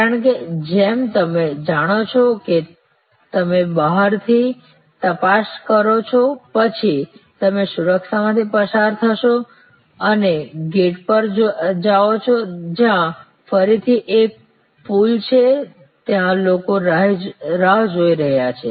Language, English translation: Gujarati, Because, as you know after you check in outside then you go through security and go to the gate, where again there is a pooling people are waiting